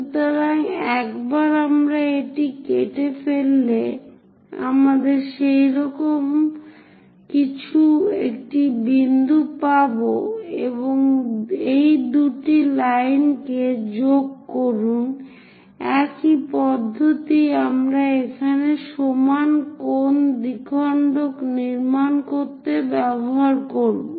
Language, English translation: Bengali, So, once we cut that, we have a point something like that and join these two lines; the same method we will use it to construct equal angle bisector here